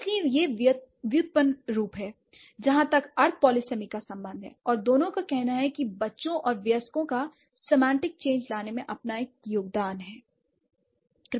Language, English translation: Hindi, So, these are the derived form as for a semantic polysemies concerned and both the children and the adult they would have their own contribution to bring in the semantic change